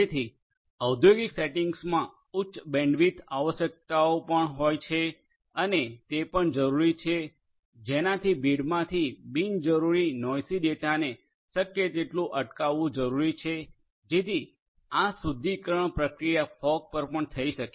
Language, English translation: Gujarati, So, high bandwidth requirements are also there in the industrial settings and also it is required to prevent as much as possible the unnecessary noisy data from the crowd through some kind of a filtration process so this filtration can also be done at the fog